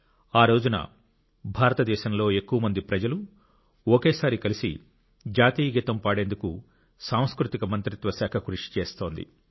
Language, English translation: Telugu, It's an effort on part of the Ministry of Culture to have maximum number of Indians sing the National Anthem together